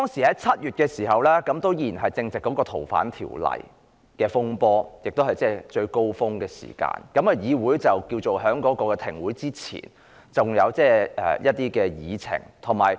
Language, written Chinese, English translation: Cantonese, 在7月時正值《逃犯條例》的風波出現，當時亦是最高峰的時候，而議會在停止開會之前仍有一些議程。, It was in July that the disturbances arising from the Fugitive Offenders Ordinance FOO emerged and reached its climax . In the legislature there were still a number of agenda items pending before meetings were suspended